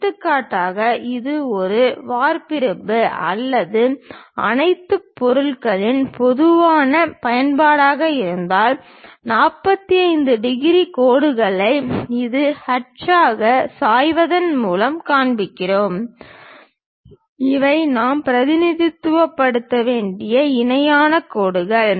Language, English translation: Tamil, For example, if it is a cast iron or general use of all materials we show it by incline 45 degrees lines as a hatch and these are the parallel lines we have to really represent